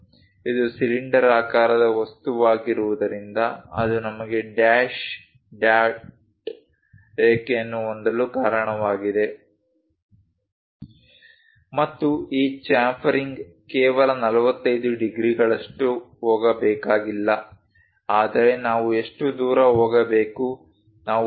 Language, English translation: Kannada, Because it is a cylindrical object that is the reason we have dash dot line And this chamfering is not just 45 degrees one has to go, but how far we have to go thus, we are representing 0